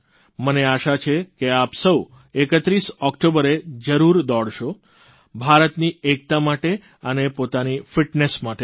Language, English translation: Gujarati, I hope you will all run on October 31st not only for the unity of India, but also for your physical fitness